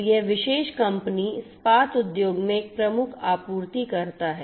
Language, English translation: Hindi, So, this particular company is a major supplier in the steel industry